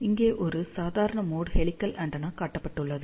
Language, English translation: Tamil, Now, let us talk about normal mode helical antenna